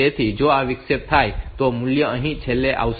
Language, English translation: Gujarati, So, if this interrupt occurs then the value will get last here